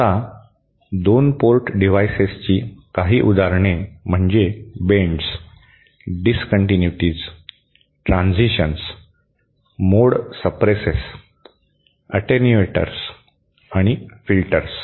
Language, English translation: Marathi, Now, some of the examples of 2 port devices are bends, discontinuities, transitions, mode suppresses, attenuators and filters